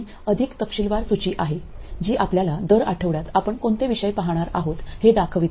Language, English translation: Marathi, This is a more detailed list that shows you week by week what topics we are going to cover